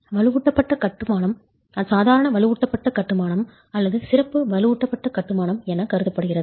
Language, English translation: Tamil, Reinforce masonry treated as ordinary reinforced masonry or special reinforced masonry